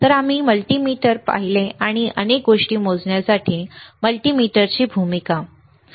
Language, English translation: Marathi, So, where were we have seen the multimeter, and the role of multimeter to measure several things, right